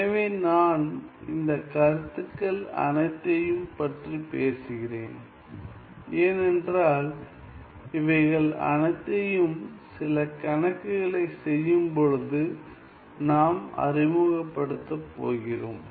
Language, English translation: Tamil, So, I am going I am talking about all these concepts, because we are going to introduce all these notions, when we do some problems